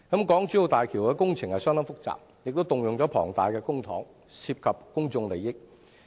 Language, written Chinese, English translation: Cantonese, 港珠澳大橋工程相當複雜，動用了龐大的公帑，涉及公眾利益。, The HZMB project is a very complex project involving a large amount of public funds and also public interest